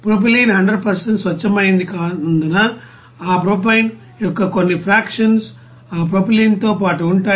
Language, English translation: Telugu, Because propylene is not 100% pure some fractions of that propane will be there along with that propylene